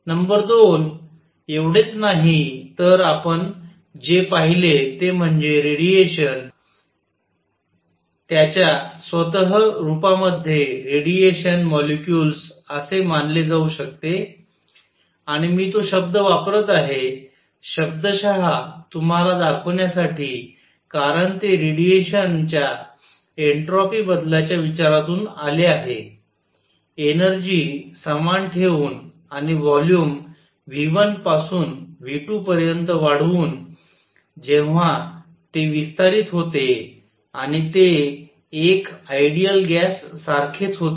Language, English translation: Marathi, Number 2; not only this, what we also saw is that radiation itself can be thought of as composed of let us call radiation molecules and I am using that term, the literately to show you because it came from the considerations of entropy change of radiation when it expanded, keeping the energy same and the volume increase from v 1 to v 2 and it was the same as an ideal gas